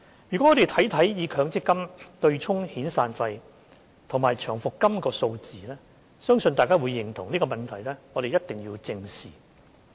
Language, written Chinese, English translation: Cantonese, 如果我們看看以強積金對沖遣散費及長期服務金的數字，相信大家會認同這個問題必須正視。, If we look at the figures on the offsetting of severance and long service payments against MPF benefits I believe Members will agree that the issue must be addressed